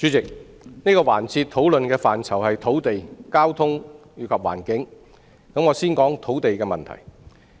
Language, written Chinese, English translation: Cantonese, 主席，這個環節討論的範疇是土地、交通及環境，我想先談土地問題。, President this debate session is about land transport and environment and I would like to discuss the land problem first